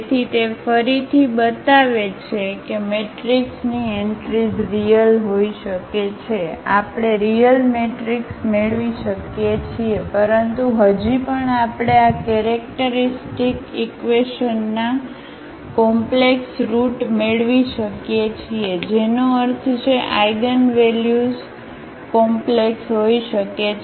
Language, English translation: Gujarati, So, that again shows that the matrix entries may be real we can have a real matrix, but still we may get the complex roots of this characteristic equation meaning the eigenvalues may be complex